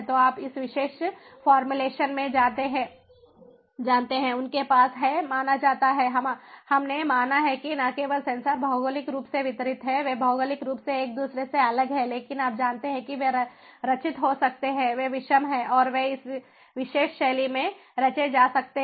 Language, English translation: Hindi, so, you know, in this particular formulation they have considered, we have considered that not only that the sensors are geographically distributed, theirs geographical separated from each other, but they also, they also, ah, you know, they can be composed